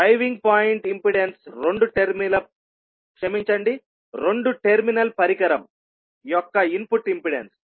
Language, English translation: Telugu, Driving point impedance is the input impedance of two terminal device